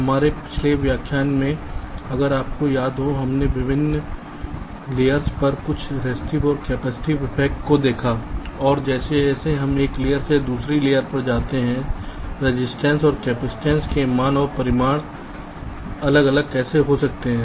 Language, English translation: Hindi, so in our last lecture, if you recall, we looked at some of the resistive and capacitive affects on the different layers and, as we move from one layer to the other, how the values and magnitudes of the resistance and capacitances can vary